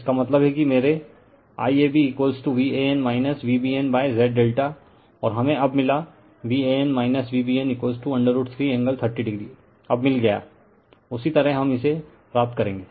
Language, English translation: Hindi, That means, my I AB is equal to V an minus V bn upon Z delta and we got now V an minus V bn is equal to root 3 angle 30 degree you got it now, same way we will get it